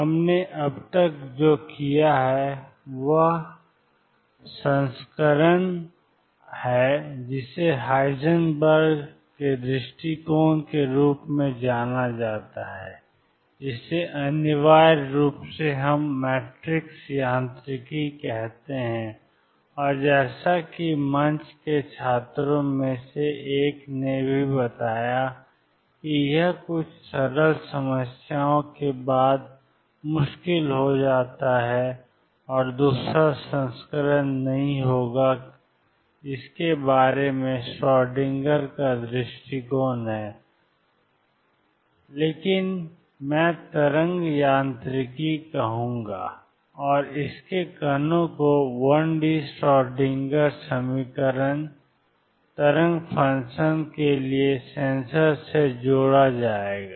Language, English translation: Hindi, What we have done so far is the version which is known as the Heisenberg’s approach which is essentially what we called matrix mechanics and as one of the students in the forum also pointed out it does become difficult after certain simple problems and the other version will not about is the Schrodinger’s approach which is nothing but what I will call wave mechanics and its considers particles has having associated with sensor for the wave function the one d Schrodinger equation